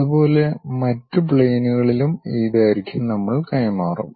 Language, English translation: Malayalam, Similarly, we will transfer these lengths on other planes also